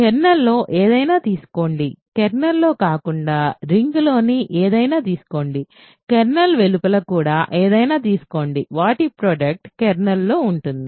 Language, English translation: Telugu, Take anything in the kernel; take anything in the ring not in the kernel anything even outside the kernel, the product is in the kernel